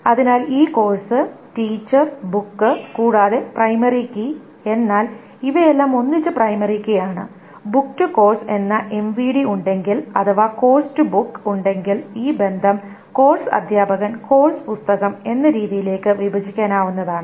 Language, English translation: Malayalam, So this course teacher book and the primary key is all of these together is a primary key and this if the MVD course to book exists then this relation can be broken down into this course teacher and course book